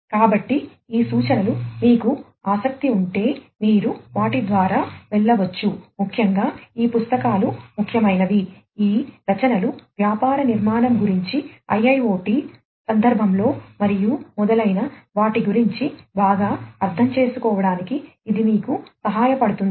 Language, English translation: Telugu, So, these are these references if you are interested you may go through them particularly these books are important this literature this will help you to have better understanding about the business architecture, in the context of IIoT and so on